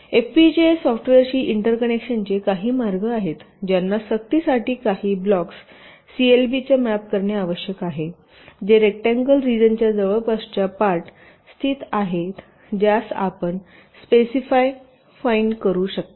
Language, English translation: Marathi, there are ways to inter connect with fpga software to force that certain blocks must be mapped to the clbs which are located in a close neighbourhood, within a rectangular region, those you can specify